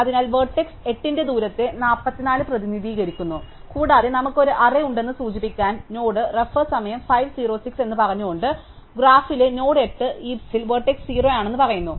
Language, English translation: Malayalam, So, 44 represents the distance of vertex 8 and to indicate that we have an array, saying that the NodeToHeap saying that the node 8 in the graph is vertex 0 in the heap